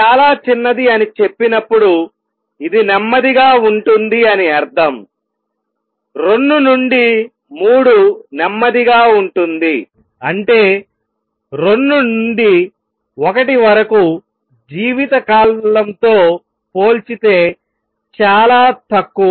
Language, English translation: Telugu, And when I say very short that means, this is slow, 2 to 3 is slow; that means much less compare to life time from 2 to 1